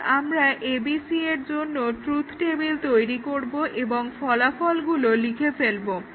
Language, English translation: Bengali, Now, we develop the truth table for ABC and we write the result here